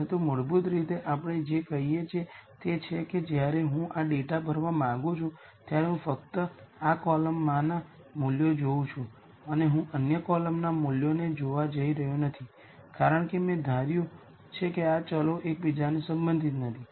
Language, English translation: Gujarati, But basically what we are a essentially saying is when I want to fill this data all I am going to do is I am going to look at the values only in this column and I am not really going to look at values in the other columns because I have assumed that these variables are not related to each other